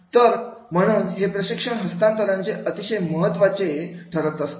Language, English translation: Marathi, So therefore this transfer of training is becoming very, very important